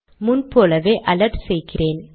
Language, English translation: Tamil, And as before I am alerting